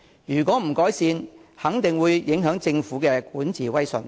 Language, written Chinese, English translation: Cantonese, 如果不改善這個問題，肯定會影響政府的管治威信。, If this problem remains unresolved it will definitely affect the Governments prestige in governance